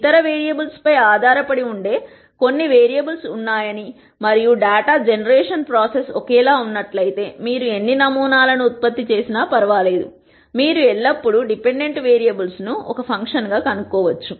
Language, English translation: Telugu, And if you identify that there are certain variables which are dependent on other variables and as long as the data generation process is the same, it does not matter how many samples that you generate, you can always nd the de pendent variables as a function of the independent variables